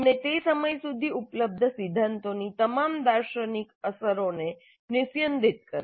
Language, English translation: Gujarati, He distilled all the philosophical implications of the theories available up to that time